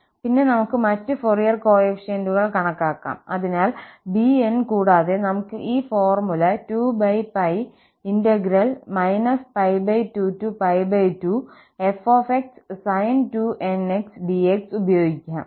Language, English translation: Malayalam, Then, we can compute the other Fourier coefficients, so, bn and we can use this formula 2 over pi minus pi by 2 to pi by 2 f sin 2nx dx